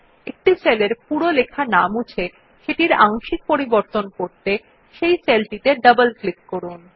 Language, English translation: Bengali, In order to change a part of the data in a cell, without removing all of the contents, just double click on the cell